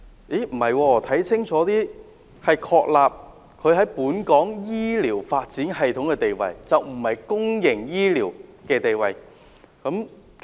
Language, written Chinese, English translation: Cantonese, 但是，看清楚一點，原來只是確立它在本港醫療發展的地位，而並非公營醫療的地位。, However after taking a second look it is only confirming its positioning in the development of medical services not public health care services in Hong Kong